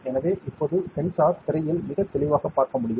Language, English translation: Tamil, So, you can see the sensor now on the screen very clearly, correct